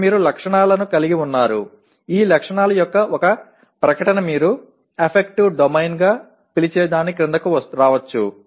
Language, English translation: Telugu, And this is where you are even including attributes, which statement of these attributes may come under what you call as the affective domain as well